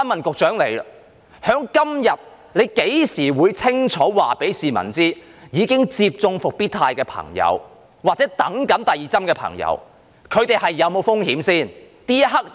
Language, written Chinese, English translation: Cantonese, 她何時可以清楚告訴市民，已接種復必泰疫苗或正待接種第二劑疫苗的朋友會否有風險呢？, When can she tell people clearly whether those who have already received Comirnaty vaccination or those awaiting the administration of the second dose of the vaccine are under any risks?